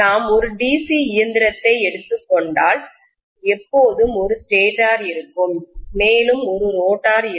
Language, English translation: Tamil, If I take a DC machine, as I told you, there will always be a stator and there will be a rotor